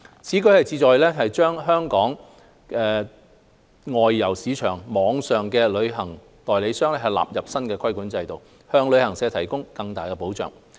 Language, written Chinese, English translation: Cantonese, 此舉旨在把本港外遊市場網上旅行代理商納入新規管制度，向旅客提供更大的保障。, This measure seeks to incorporate those online travel agents that carry on business in the outbound travel services market under the new regulatory regime with a view to according greater protection to visitors